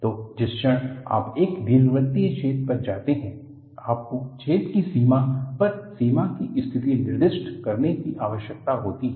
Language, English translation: Hindi, So, the moment you to go an elliptical hole, you need to specify the boundary conditions on the boundary of the hole